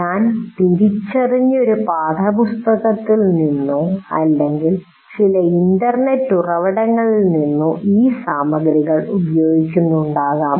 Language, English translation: Malayalam, I may be using this material from a particular textbook or some internet resource